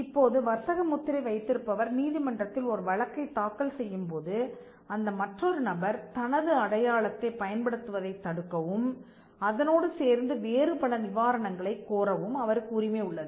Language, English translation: Tamil, Now when the trademark holder files a case before the court of law asking the court, to stop the person from using his mark and there are various other reliefs that the trademark holder can claim